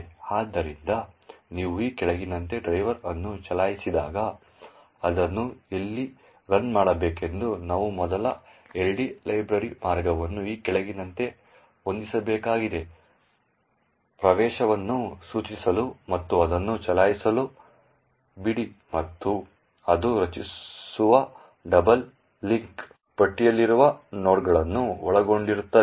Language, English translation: Kannada, So, when you run driver as follows where it to run we need to first set the LD library path lets set as follows leave it point to the entry and run it and what it means are the nodes in the doubly link list comprising of A, B and C, okay